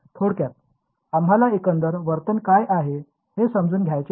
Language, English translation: Marathi, Typically you are we want to know what is the overall behavior